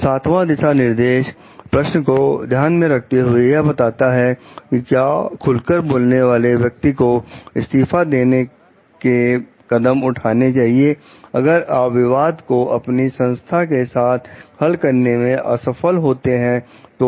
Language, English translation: Hindi, So, the seventh guideline considers the question of whether to take the steps of resigning of blowing the whistle, if you are unable to resolve the conflict, with your organization